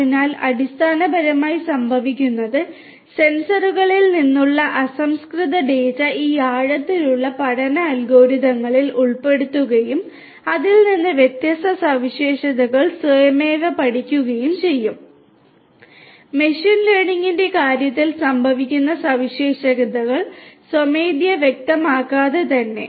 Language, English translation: Malayalam, So, essentially what happens is the raw data from the sensors are fed into these deep learning algorithms and from that different features will automatically different features will automatically get learnt without actually manually specifying those features which used to happen in the case of machine learning